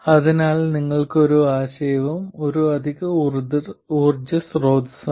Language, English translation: Malayalam, So the next idea is an additional power source